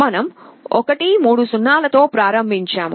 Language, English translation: Telugu, We started with 1 0 0 0